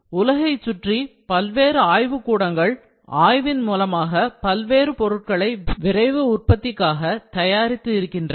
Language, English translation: Tamil, Numerous laboratories around the world have researched and developed materials for various rapid manufacturing processes